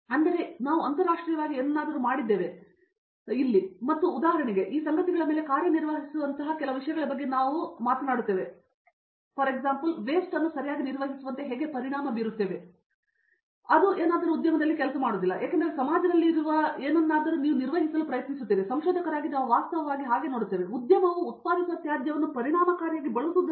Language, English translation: Kannada, But in here we more work on kinds of document how internationally something has been done and for example, the mean things of we even work on something like who works on these stuff like, how do you effect duly managed the waste for example, that something is industry doesn’t work at all because something which is there the society is incurring cost in how do you manage it and as a researcher we are actually looking at how do we, an effectively used the waste that the industry is generating